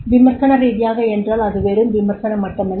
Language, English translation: Tamil, Critically means it does not mean the criticism